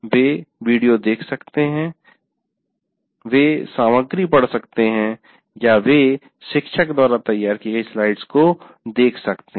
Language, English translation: Hindi, They can look at videos, they can read the material or they can look at the slides prepared by the teacher, all that can happen